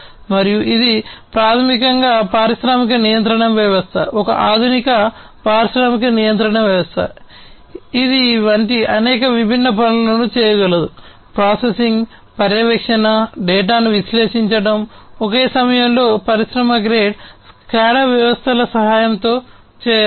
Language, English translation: Telugu, And it is basically an industrial control system, an advanced industrial control system, which can do many different things such as; processing, monitoring, analyzing data, all at the same time can be done, with the help of industry grade SCADA systems